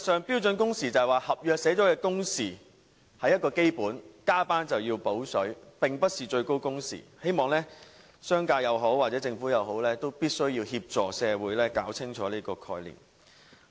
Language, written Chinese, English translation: Cantonese, 標準工時是指合約訂明一個基本工時，加班便要"補水"，並不是指最高工時，希望商界或政府必須協助社會弄清楚這個概念。, Standard working hours means stipulating the basic working hours in the contract and pay for overtime work . It does not mean maximum working hours . The business sector and the Government must help society make clear this concept